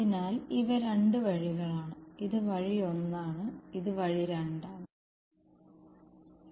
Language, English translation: Malayalam, So, these are two routes; this is route 1 and this is route 2